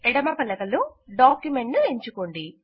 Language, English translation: Telugu, In the left pane, select Document